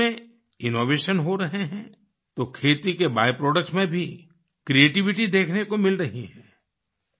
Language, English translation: Hindi, Innovation is happening in agriculture, so creativity is also being witnessed in the byproducts of agriculture